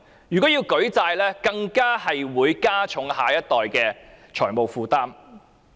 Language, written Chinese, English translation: Cantonese, 如要舉債，更會加重下一代的財務負擔。, If we have to raise debts the next generation will have to bear a heavier financial burden